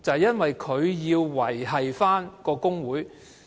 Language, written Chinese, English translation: Cantonese, 便是他要維繫工會。, The reason is that he has to safeguard the trade union